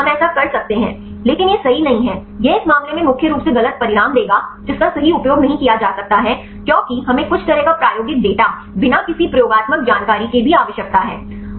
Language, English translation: Hindi, But we can do that, but that is not accurate, but will give mainly wrong results in this case that cannot be used right because we need at least some sort of experimental data right without any experimental information right